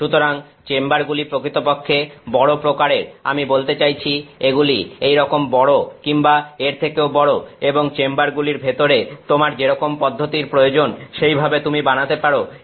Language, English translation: Bengali, So, the chambers are actually kind of large, I mean it is as large as that or is even larger and inside the chamber you can set up the process that you want